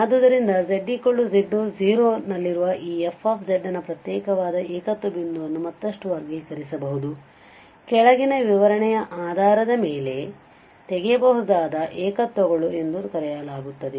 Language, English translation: Kannada, So, these isolated singularities of this fz at z equal to z0 can be further classified, based on the following description, the one is called removable singularities